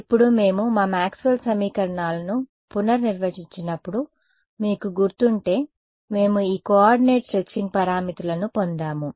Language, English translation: Telugu, Now, if you remember when we had redefined our Maxwell’s equations we had got these coordinate stretching parameters